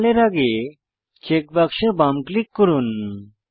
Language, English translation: Bengali, Left click the check box next to Normal